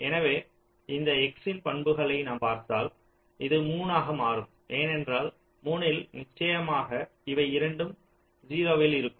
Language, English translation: Tamil, so this, if we just look at the property of this x, this will shift to three because at three, definitely both of them are at zero